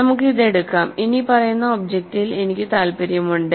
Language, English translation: Malayalam, So, let us take this, I am interested in the following object